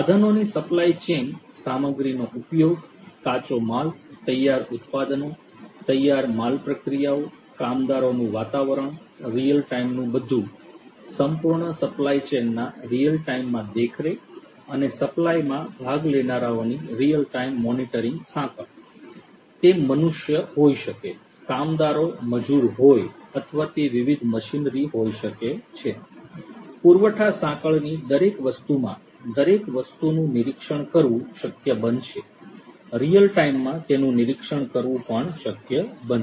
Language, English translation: Gujarati, Real time monitoring in the supply chain of equipment, materials being used, raw materials, finished products, finished goods processes, workers environment, everything in real time, monitoring in real time of the entire supply chain and the participants in the supply chain; be it the humans, the workers the laborers and so on or be it the different machinery, everything is going to be possible to be monitored in everything in the supply chain is going to be possible to be monitored in real time